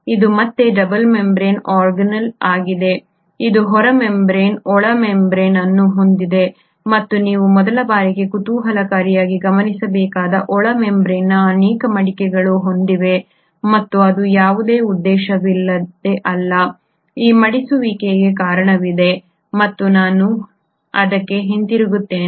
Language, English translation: Kannada, It is again a double membraned organelle, it has an outer membrane, an inner membrane and what you notice intriguingly for the first time is that the inner membrane has multiple foldings and it is not without a purpose, there is a reason for this folding and I will come back to it